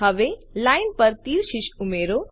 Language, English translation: Gujarati, Now, let us add an arrowhead to the line